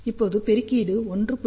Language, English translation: Tamil, So, this should be equal to 1